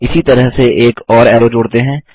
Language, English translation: Hindi, Let us add one more arrow in the same manner